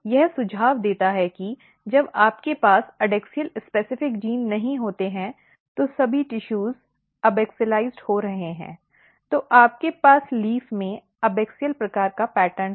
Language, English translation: Hindi, This suggest that when you do not have adaxial specific genes the all tissues are getting abaxialized, so you have abaxial type of pattern in the leaf